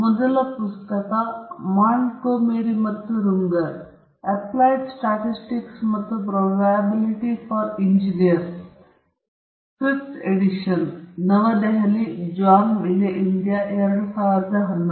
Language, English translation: Kannada, The first book is by Montgomery and Runger, Applied Statistics and Probability for Engineers; Fifth Edition, New Delhi, John Wiley India, 2011